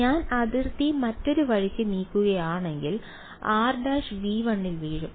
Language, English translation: Malayalam, If I move the boundary the other way, then r prime will fall into V 1